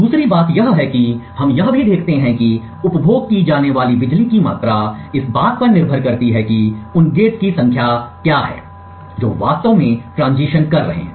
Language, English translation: Hindi, Secondly what we also see is that the amount of power consumed depends on the number of gates that amount of power consumed depends on the number of gates that is actually making the transition